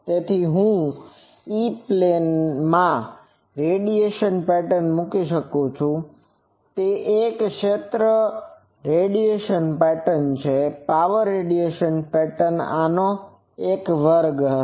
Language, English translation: Gujarati, So, I can put the radiation pattern in the E plane that will, it is a field radiation pattern; power radiation pattern will be square of this